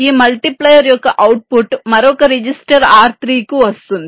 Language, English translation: Telugu, the output of this multiplier can go to another register, say r three